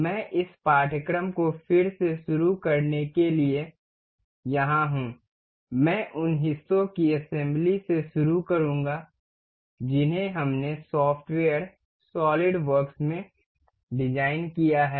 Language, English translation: Hindi, I am here to resume this course, I will take on from the assembly of the parts we have designed in the software solidworks